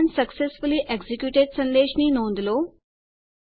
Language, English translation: Gujarati, Notice the message Command successfully executed